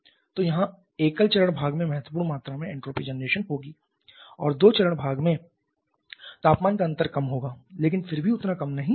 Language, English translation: Hindi, So, here there will be significant amount of entropy generation in the single phase part and in the toughest part the temperature difference is small but still not that small as well